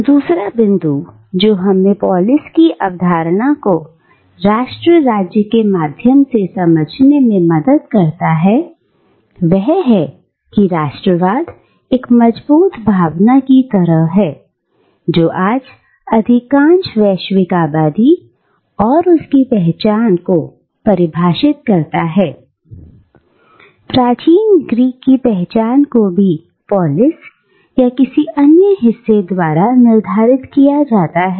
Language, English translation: Hindi, The second point that helps us understand this concept of polis through the lens of nation stateis that just like the strong sense of nationalism that today pervades most of the global population and defines their identity,, the identity of an ancient Greek was also very strongly determined by his being part of one polis or another